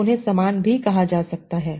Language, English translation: Hindi, So they can be also called similar